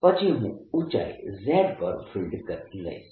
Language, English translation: Gujarati, then i would take field at hight z